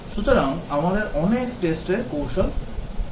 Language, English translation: Bengali, So, we will have many tests strategies